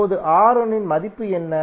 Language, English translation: Tamil, Now, what is the value of R1